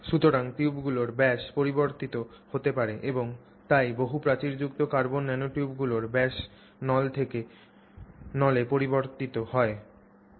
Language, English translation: Bengali, So, the diameter of the number of tubes can change and therefore the diameter of the multivalal carbon nanotube can vary from tube to tube